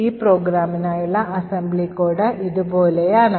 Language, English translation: Malayalam, The assembly code for this particular program looks something like this